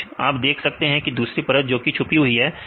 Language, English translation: Hindi, In between you see layer 2 this is hidden layer